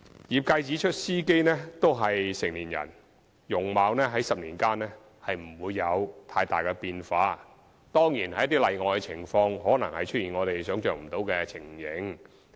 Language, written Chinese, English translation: Cantonese, 業界指出司機均屬成年人，其容貌在10年間不會有太大變化，當然在一些例外的情況，可能出現我們想象不到的情形。, The trades have pointed out that drivers are all adults whose appearance would not change significantly in 10 years time . Of course there should be some exceptional cases where something inconceivable might happen